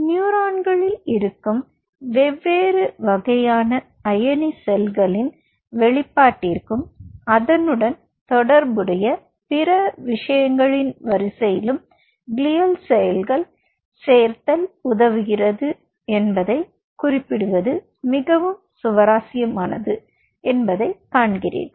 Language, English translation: Tamil, its very interesting to note the addition of glial cell helps in the expression of the different kind of ion channels which are present in the neurons and the series of other things which are involved with it